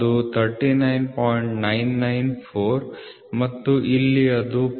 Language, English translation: Kannada, 994 and here it is 0